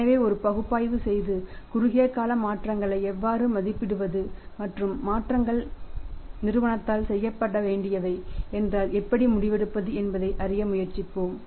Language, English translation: Tamil, So, let us make a analysis and try to learn that how to evaluate the short term changes and how to take a decision that if some short and changes are required to be done by the firm